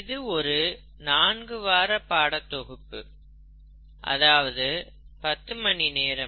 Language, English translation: Tamil, This is a four week course or a ten hour course